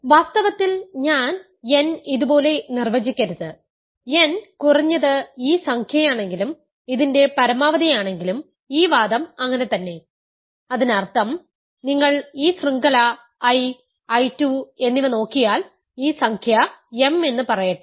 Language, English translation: Malayalam, In fact, I should not define n like this if a n is at least this number, max of this then this argument holds so; that means, if you look at this chain I, I 2 and this number let us say is m